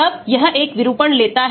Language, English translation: Hindi, When it takes a conformation